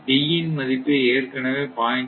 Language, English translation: Tamil, Therefore your D will be 0